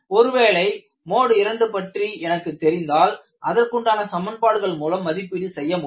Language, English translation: Tamil, If I know it is the mode 2, I can go for appropriate equations and evaluate